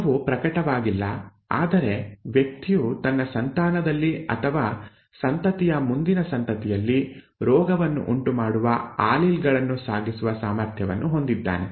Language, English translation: Kannada, The disease is not manifest but the person has a potential to pass on the allele to cause the disease in the offspring, or in the offspringÕs offspring